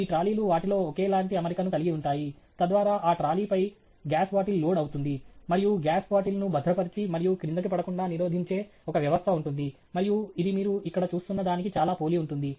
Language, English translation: Telugu, So that the gas bottle is loaded on to that trolley, and there will be a system which secures the gas bottle and prevents it from falling down, and that would be very similar to what you are seeing here